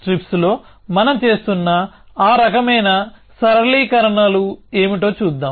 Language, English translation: Telugu, So, let us see what are those kind simplifications that we are making in strips